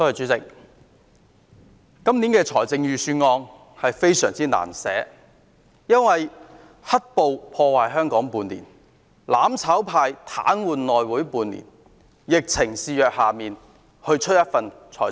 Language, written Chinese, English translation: Cantonese, 主席，今年的財政預算案非常難編製，因為"黑暴"破壞香港半年，"攬炒派"癱瘓內會半年，現在又疫情肆虐。, President it must have been very difficult to prepare the Budget this year for black terror has been wreaking havoc in Hong Kong for half a year the mutual destruction camp has been paralysing the House Committee for half a year and an epidemic has been raging recently